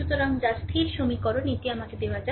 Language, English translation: Bengali, So, which is constant equation let me let me clear it